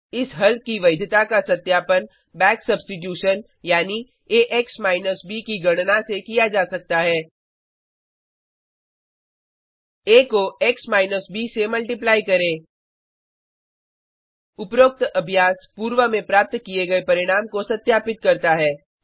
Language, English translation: Hindi, The integrity of the solution can be verified by back substitution, that is, by calculating Ax b: A multiplied by x minus b The above exercise verifies the result achieved earlier